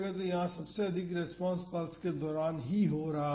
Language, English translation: Hindi, So, here the maximum response is happening during the pulse itself